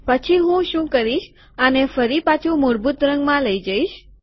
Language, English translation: Gujarati, So what I will do is, I will take this back to the original color